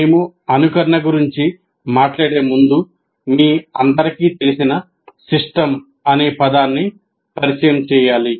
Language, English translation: Telugu, Before we go talk about simulation, we have to introduce the word system with which all of you are familiar